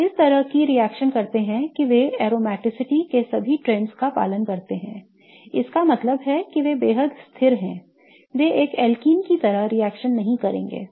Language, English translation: Hindi, They react such that they follow all the trends of aromaticity that means they are extremely stable they will not be reacting like an alken